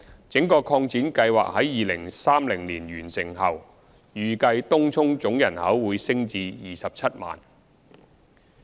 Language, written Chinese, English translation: Cantonese, 整個擴展計劃於2030年完成後，預計東涌總人口會升至約 270,000。, Upon full completion of the extension project in 2030 the total population of Tung Chung will increase to around 270 000